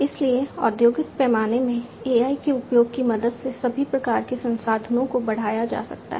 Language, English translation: Hindi, So, all kinds of resources could be boosted up, with the help of use of AI in the industrial scale